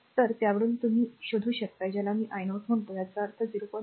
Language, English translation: Marathi, So, because ah from that you can find out your what you call i 0; that means, 0